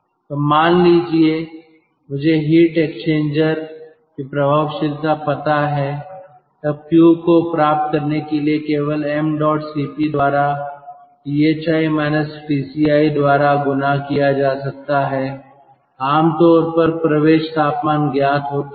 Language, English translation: Hindi, so suppose i know the effectiveness of the heat exchanger, then q can be determined simply by m dot cp multiplied by thi minus tci